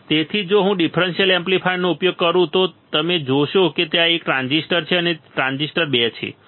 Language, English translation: Gujarati, So, if I use the differential amplifier you will see that there is a transistor one and there is a transistor 2